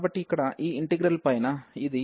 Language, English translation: Telugu, So, here this integral over this